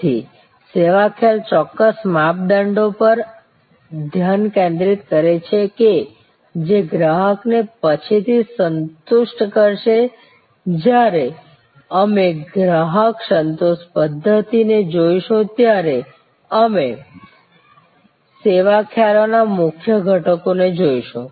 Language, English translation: Gujarati, So, service concept focuses on the exact criteria that will satisfy the customer later on when we look at customer satisfaction models we will look at the key constituents of the service concepts